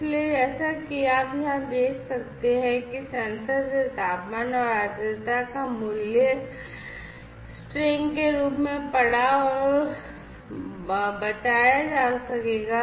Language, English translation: Hindi, So, as you can see over here the temperature and the humidity value from the sensor will be read and saved in the form of a string, right